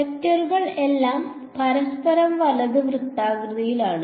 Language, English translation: Malayalam, Their vectors are perpendicular to each other right